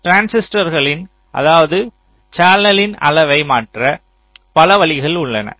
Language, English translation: Tamil, the size of a transistor means the channel